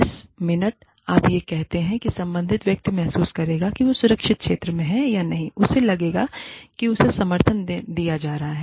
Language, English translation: Hindi, The minute, you say this, the person concerned, will feel that, he or she is in a safe zone, will feel that, he or she is being supported